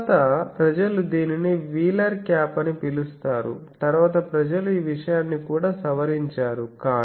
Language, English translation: Telugu, Now later people have so this is called wheeler cap later people have modified this thing also